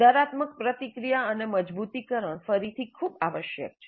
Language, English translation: Gujarati, And corrective feedback and reinforcement are again very essential